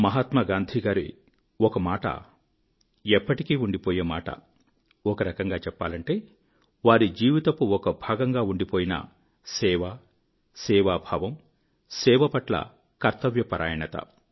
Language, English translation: Telugu, One attribute has always been part & parcel of Mahatma Gandhi's being and that was his sense of service and the sense of duty towards it